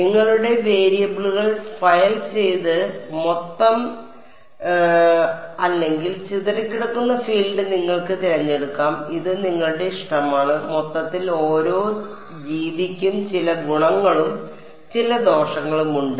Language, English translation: Malayalam, You could choose to have your variables be either the total filed or the scattered field it is your choice, total your choice each method will have some advantages and some disadvantages